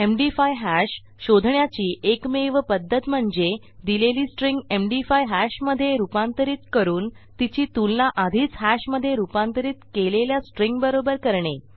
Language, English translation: Marathi, The only way to find out an MD5 hash is to convert a string to an MD5 hash as well and compare it to a string that has already been converted to a hash